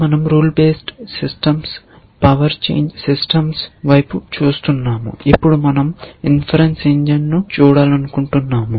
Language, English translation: Telugu, So, we are looking at rule based systems power changing systems, and now we want to look at the inference engine